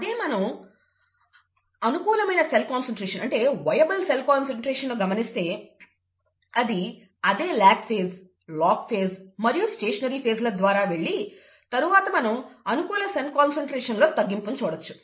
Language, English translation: Telugu, Whereas if you are following the viable cell concentration, it is going to go through the same lag phase, log phase, stationary phase, and then there will be a decrease in the viable cell concentration